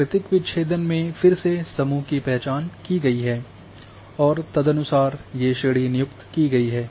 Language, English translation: Hindi, In natural breaks again groupings have been identified and accordingly these classes have been assigned